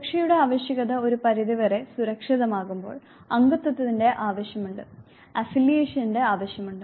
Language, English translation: Malayalam, Once need for safety is secure to a certain extent, there is a need for belongingness need for affiliation